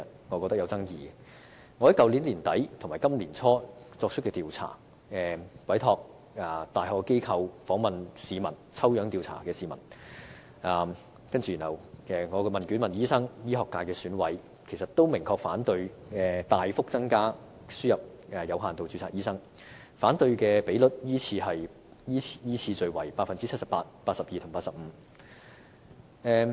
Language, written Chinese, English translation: Cantonese, 我在去年年底至今年年初曾委託大學機構進行調查，訪問了市民、醫生和醫學界選委，他們都明確反對大幅增加輸入有限度註冊醫生，反對率依次是 78%、82% 和 85%。, I commissioned a tertiary institution to conduct a survey from the end of last year to early this year in which members of the public doctors and EC members from the medical subsector were interviewed and they clearly opposed admission of a substantially increased number of doctors with limited registration . Their opposition rates are 78 % 82 % and 85 % respectively